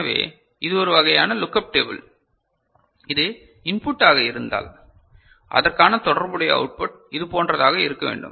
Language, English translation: Tamil, So, this becomes a kind of you know look up table that if this is the input corresponding output should be like this, right